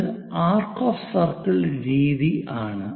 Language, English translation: Malayalam, This is by arcs of circle method